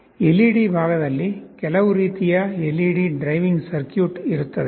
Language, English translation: Kannada, In the LED part there will be some kind of a LED driving circuit